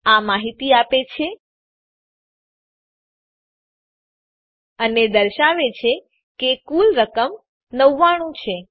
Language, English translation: Gujarati, It gives the details, ok and says the total amount is 99